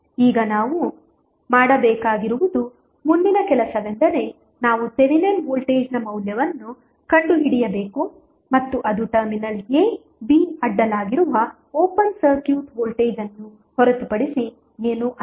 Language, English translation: Kannada, Now, next task what we have to do is that we have to find out the value of Thevenin voltage and that is nothing but the open circuit voltage across terminal a, b